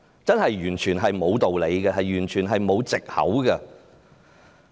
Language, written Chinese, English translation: Cantonese, 這是完全沒有道理，完全沒有卸責的藉口。, This is totally unreasonable and invalid as an excuse for shirking responsibilities